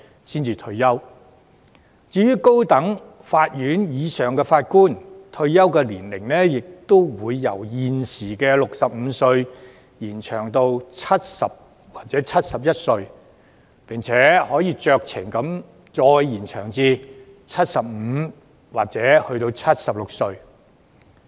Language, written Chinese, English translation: Cantonese, 至於高等法院或以上級別的法官，退休年齡亦會由現時的65歲延展至70歲或71歲，並可以酌情再延展至75歲或76歲。, The retirement age for Judges at High Court level or above will be extended from 65 to 70 or 71 with the possibility of discretionary extension until 75 or 76